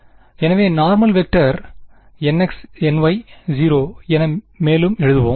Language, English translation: Tamil, So, let us further write down the normal vector as n x n y 0